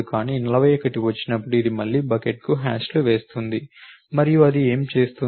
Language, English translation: Telugu, But when 41 comes along it hashes to the bucket one again and what does it do